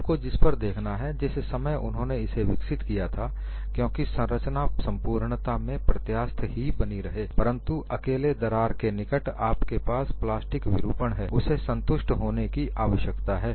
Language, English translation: Hindi, You have to look at the time he developed because the structure as the whole remind elastic, but near the crack alone, you will have plastic deformation he needs to convince